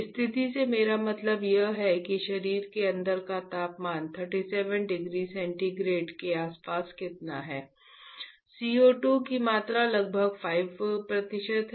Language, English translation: Hindi, What I mean by situation is what is the temperature of our of inside the body around 37 degree centigrade correct, how much amount of co 2 is there around 5 percent